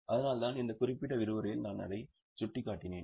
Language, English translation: Tamil, That's why I have covered it in this particular session